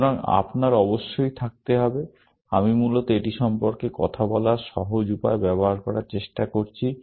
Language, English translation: Bengali, So, you must have; I am just trying to use the simple way of talking about it, essentially